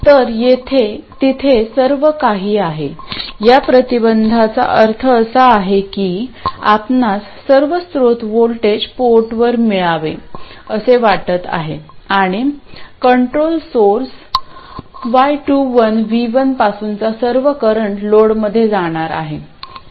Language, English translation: Marathi, You want all of the source voltage to appear across Port 1 and you want all of the current from the controlled source Y211 to go into the load